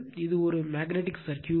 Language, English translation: Tamil, Now, next is magnetically coupled circuit